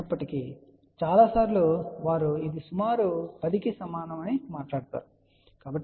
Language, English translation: Telugu, The many a times, they do talk about this is approximately equal to 10, ok